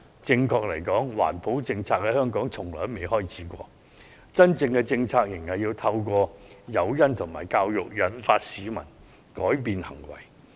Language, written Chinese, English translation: Cantonese, 正確而言，環保政策在香港從來未開始過，真正的政策是應該透過誘因和教育，引導市民改變行為。, To put it correctly no environmental policy has even been started in Hong Kong . A proper policy should be guiding the public to change their behaviour through incentives and education